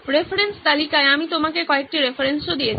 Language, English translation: Bengali, I have given you a few references as well in the reference list